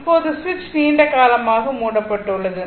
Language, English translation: Tamil, So now, switch is closed for long time